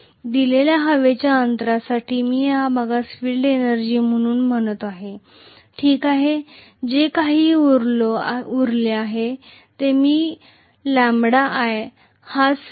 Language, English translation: Marathi, For a given air gap I call this portion as the field energy okay, whereas whatever is left over so if I actually say lambda times i